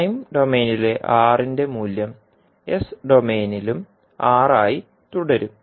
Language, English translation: Malayalam, So a value of R in time domain will remain R in s domain also